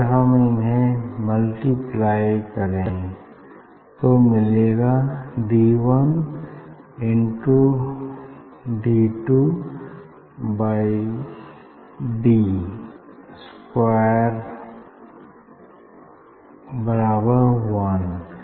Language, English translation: Hindi, if you multiply this two; d 1 into d 2 by d square equal to v by u into u by v equal to 1